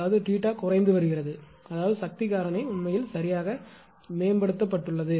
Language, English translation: Tamil, That means theta dash is getting decrease; that means, power factor actually is improved right